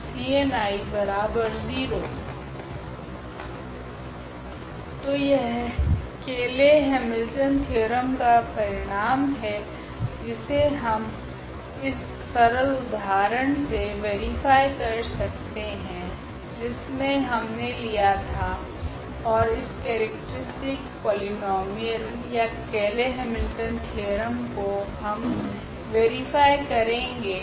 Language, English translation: Hindi, So, that is the result of the Cayley Hamilton theorem which we can verify for instance for this very simple example which have taken 11 minus 6 i 4 i and 1 and we will verify this characteristic polynomial by this or de Cayley’s Hamilton theorem